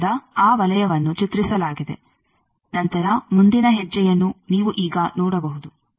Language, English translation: Kannada, So, that circle is drawn then next step you see now